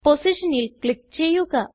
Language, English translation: Malayalam, Click on the position